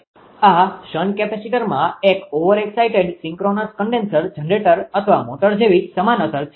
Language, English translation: Gujarati, So, therefore, this shunt capacitor has the same effect as an overexcited synchronous condenser, generator or motor right; effect is similar